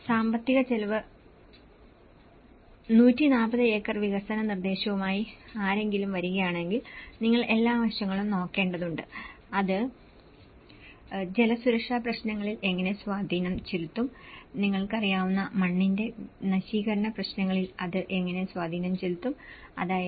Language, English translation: Malayalam, If someone is coming with 140 acre development proposal review, so you need to look at the all aspects, how it may have an impact on the water security issues, how it will have an impact on the soil degradation issues you know, that is all the aspects has to be looked in